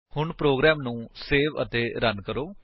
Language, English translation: Punjabi, So save and run the program